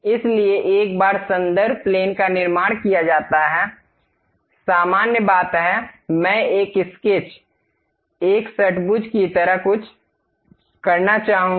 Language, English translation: Hindi, So, once reference plane is constructed; normal to that, I would like to have something like a sketch, a hexagon, done